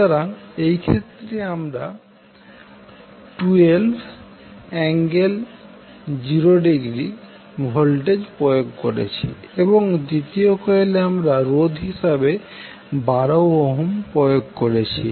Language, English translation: Bengali, So in this case we have applied voltage that is 12 volt angle 0 and in the second coil we have applied 12 ohm as a resistance